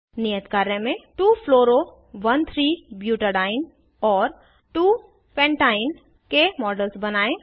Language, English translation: Hindi, For the Assignment # Create the models of 2 fluoro 1,3 butadiene and 2 pentyne